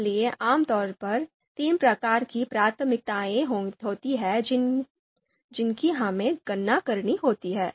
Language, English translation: Hindi, So typically, there are three types of priorities that we have to calculate